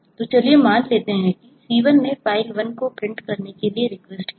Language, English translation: Hindi, so let us assume that c has requested to print file 1 and c2 has requested to print file 2 at the same time